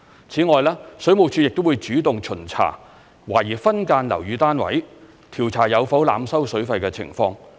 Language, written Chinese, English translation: Cantonese, 此外，水務署亦會主動巡查懷疑分間樓宇單位，調查有否濫收水費的情況。, Moreover WSD will take proactive actions to inspect suspected subdivided units for any overcharging of tenants for the use of water